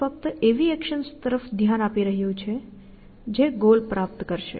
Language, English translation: Gujarati, It is only looking at actions which will achieve the goal